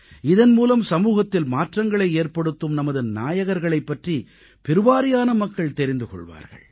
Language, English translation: Tamil, I do believe that by doing so more and more people will get to know about our heroes who brought a change in society